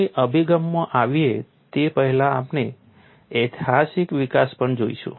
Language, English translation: Gujarati, Before we get into the approach, we will also see the historical development